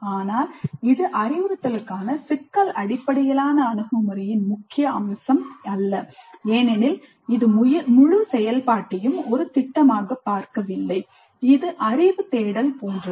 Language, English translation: Tamil, But this is not a key feature of problem based approach to instruction because it doesn't look at the whole activity as a project